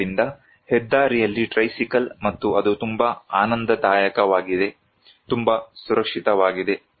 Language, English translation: Kannada, So, tricycle on highway and that is very enjoyable, very safe